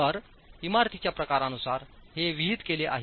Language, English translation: Marathi, So these are prescribed depending on the category of the building